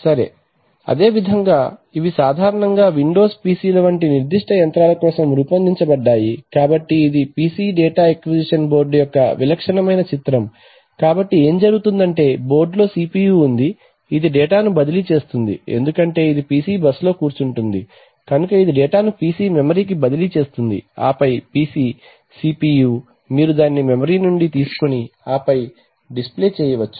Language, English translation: Telugu, So similarly these are generally designed for specific machines like the, like Windows PCs so this is a typical picture of a PC data acquisition board, so what happens is that the board itself has a CPU which transfers the data because it sits on the PC bus, so it will transfer the data to the PC memory and then the PC CPU you can actually take it from the memory and then do a do a display, right